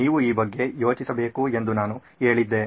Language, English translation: Kannada, I said you should be thinking about this